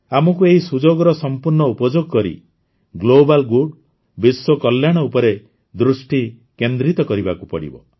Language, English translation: Odia, We have to make full use of this opportunity and focus on Global Good, world welfare